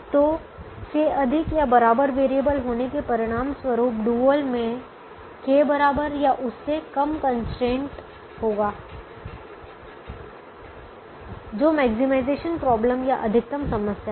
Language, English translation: Hindi, so greater than or equal to variable will result in the corresponding less than or equal to constraint in the dual which is the maximization problem